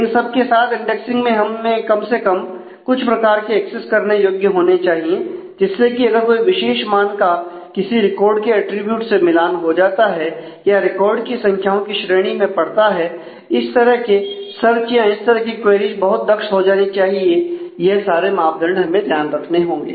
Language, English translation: Hindi, So, with that with indexing we should be able to do at least certain kind of accesses where a particular value matches the attribute of a record or falls within a range of values in a record those kind of searches those kind of queries should become very efficient and these metrics will have to always keep in mind